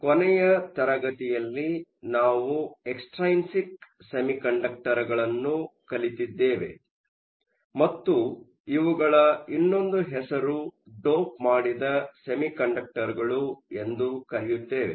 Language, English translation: Kannada, Last class, we looked at Extrinsic Semiconductors and another name for these are doped semiconductors